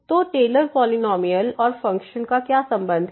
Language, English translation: Hindi, So, what is the relation of the Taylor’s polynomial and the function